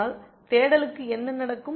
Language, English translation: Tamil, But what happens to the search